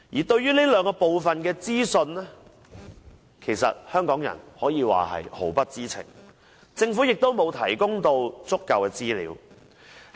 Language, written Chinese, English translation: Cantonese, 對於這兩部分的資料，香港人毫不知情，政府亦沒有提供足夠資料。, Regarding information of the latter two Hong Kong people has no knowledge and the Government also fails to provide sufficient information